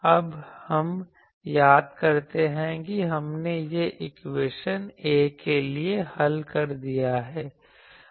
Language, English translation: Hindi, Now, what we will do that we recall that, we have solved this equation for A